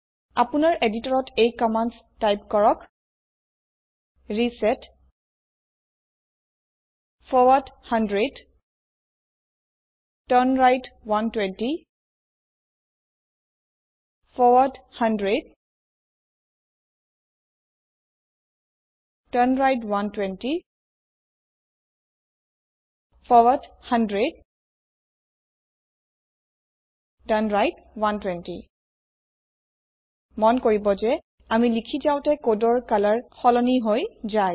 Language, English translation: Assamese, In your editor, type the following commands: reset forward 100 turnright 120 forward 100 turnright 120 forward 100 turnright 120 Note that the color of the code changes as we type